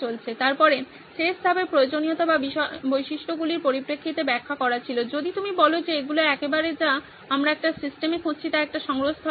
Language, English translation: Bengali, Then at the end the last step was to paraphrase in terms of requirements or features if you will saying that these are absolutely what we are looking for in a system whether it be a repository